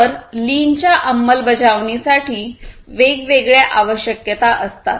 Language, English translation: Marathi, So, implementation of lean has different requirements